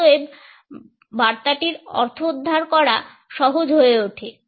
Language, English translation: Bengali, And therefore, the comprehension of the message becomes easier